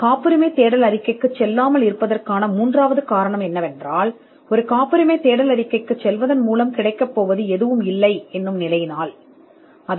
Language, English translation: Tamil, The third reason why you would not go in for a patentability search report is, when there is nothing that will be achieved by generating a patentability search report